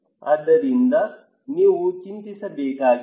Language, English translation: Kannada, So, you do not need to worry